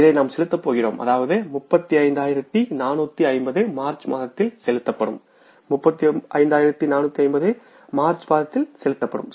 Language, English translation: Tamil, We are going to make the payment of this, that is 35,450 that will be paid in the month of March